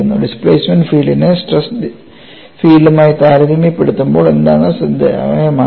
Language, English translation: Malayalam, What is striking when you compare the displacement field with the stress field